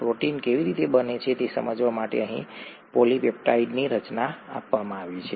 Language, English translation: Gujarati, A polypeptide formation is given here to illustrate how a protein gets made